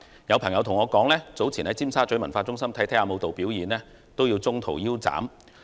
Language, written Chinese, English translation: Cantonese, 有朋友告訴我，早前在尖沙咀文化中心觀看舞蹈表演時，表演也要中途腰斬。, A friend told me that he was watching a dance show at the Cultural Centre in Tsim Sha Tsui earlier and the show had to end halfway